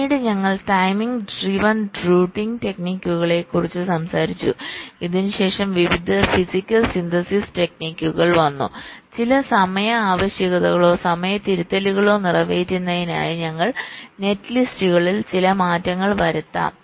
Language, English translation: Malayalam, then we talked about the timing driven routing techniques and this was followed by various physical synthesis techniques where we can make some modifications to our netlists so as to meet some of the timing requirements or timing corrections that are required